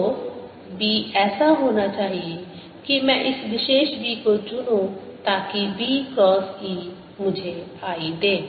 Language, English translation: Hindi, so b has to be such that i would choose this particular b so that b cross e gives me i